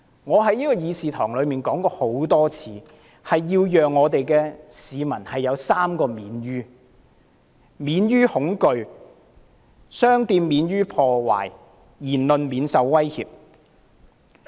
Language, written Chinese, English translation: Cantonese, 我在議事堂曾多次指出，要讓市民有3個"免於"，亦即免於恐懼、商店免於被破壞、言論免於受威脅。, As I have pointed out repeatedly in this Chamber efforts should be made to achieve the three objectives of ensuring that everyone will be free from fear shops will be protected from being vandalized and the freedom of speech will be protected from any threat